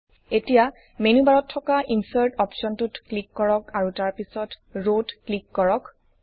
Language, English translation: Assamese, Now click on the Insert option in the menu bar and then click on Rows